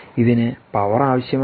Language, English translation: Malayalam, this also needs power